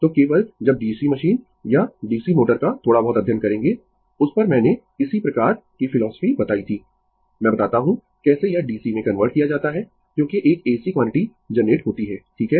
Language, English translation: Hindi, So, only when you will study DC machine or DC motor little bit at that I told you similar philosophy I tell you how it is converted to DC because is a AC quantity is generated right